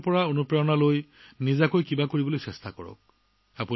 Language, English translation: Assamese, You too take inspiration from them; try to do something of your own